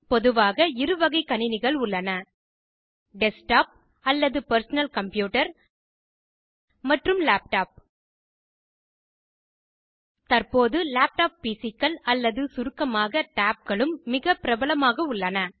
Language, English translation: Tamil, Generally, there are 2 types of computers Desktop or Personal Computer and Laptop Now a days, tablet PCs or tabs for short, are also quite popular